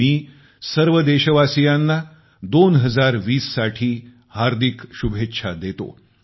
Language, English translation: Marathi, I extend my heartiest greetings to all countrymen on the arrival of year 2020